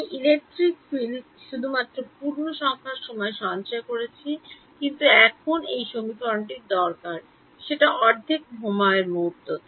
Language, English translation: Bengali, I was storing electric field only at integer time instance, but now this equation is requiring that I also needed at half a time instant